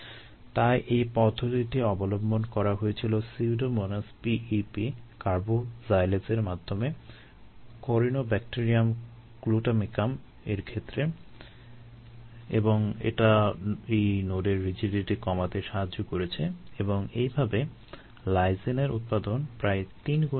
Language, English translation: Bengali, therefore, the approach was: take pseudomonas, p e, p carboxylase, express in ah, corynebacterium glutamicum, and that has helped to decrease the rigidity of this node and thereby increase the production of lysine by about three fold